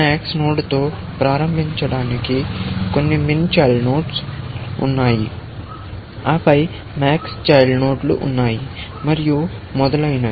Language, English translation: Telugu, To starting with max node, there are some min children, and then, there are max children, and so on